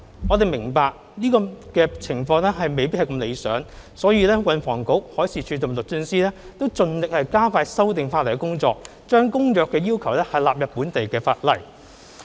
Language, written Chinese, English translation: Cantonese, 我們明白這情況未如理想，故運輸及房屋局、海事處和律政司均盡力加快修訂法例的工作，將《公約》的要求納入本地法例。, We understand that this is not desirable . For that reason the Transport and Housing Bureau the Marine Department and the Department of Justice are working hard to expedite the legislative amendment exercise so as to incorporate the requirements under the Convention into local legislation